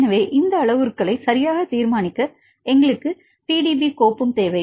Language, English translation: Tamil, So, to decide these parameters right we also required the PDB file